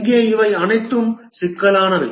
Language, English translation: Tamil, Here all these are problematic